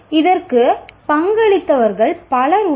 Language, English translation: Tamil, There are several people who contributed to this